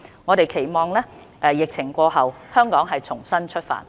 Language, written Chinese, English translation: Cantonese, 我們期望疫情過後，香港重新出發。, We hope that Hong Kong can make a fresh start when the epidemic is over